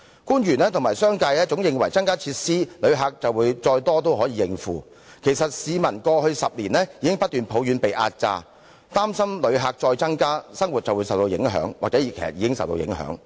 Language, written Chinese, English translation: Cantonese, 官員和商界認為只要增加設施，旅客再多也可以應付，但其實市民在過去10年已經不斷抱怨被壓榨，很擔心若旅客人數再增加，他們的生活就會受到影響，或是已經正受到影響。, Government officials and the business sector think that no matter how many more visitors come to Hong Kong we will be able to cope only if we can have more facilities . However citizens have been complaining all the time in the past decade that they have found the situation depressing . They are worried that if the number of visitors continues to increase their living will be affected―if it has not been affected already